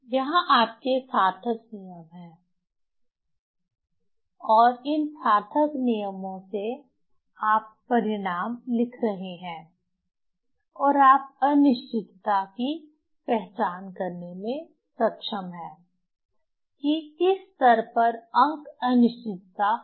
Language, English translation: Hindi, So, so, so here your rules, significant rules from that significant rules you are writing the result also you are able to identify the uncertainty in which level in which disease is uncertainty is there